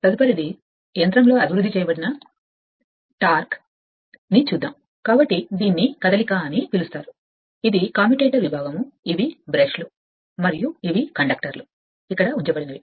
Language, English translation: Telugu, Next is torque developed in a motor; so this is also that you are what you call this motion is given, this commutator segment, these are brushes and these are the conductor placed side